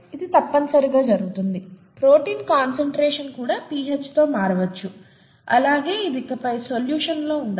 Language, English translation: Telugu, And that is essentially what happens, protein conformation may also change with pH, and it can no longer be in solution